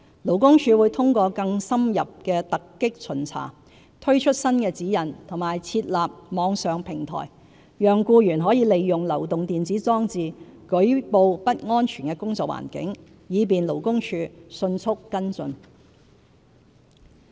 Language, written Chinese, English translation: Cantonese, 勞工處會通過更深入的突擊巡查，推出新指引及設立網上平台，讓僱員可利用流動電子裝置舉報不安全的工作環境，以便勞工處迅速跟進。, The Labour Department will conduct more in - depth surprise inspections put in place new guidelines and set up an online platform so that employees can report unsafe working environment through mobile electronic devices for prompt follow - up by the department